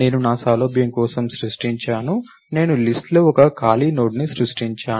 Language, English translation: Telugu, I have created for my convenience, I create one empty node in the list